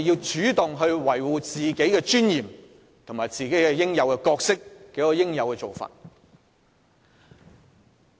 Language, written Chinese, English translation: Cantonese, 主動維護議員的尊嚴和角色，才是恰當的做法。, The proper approach is to take active steps to uphold the dignity and the role of Members of the Legislative Council